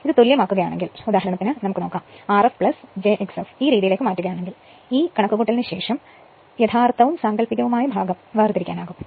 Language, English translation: Malayalam, If you make it equivalent say if you make R f plus j x f in this form you can separate real after making this computation you can separate the real and imaginary part